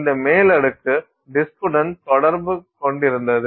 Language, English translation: Tamil, And this top layer is, uh, was in contact with the disk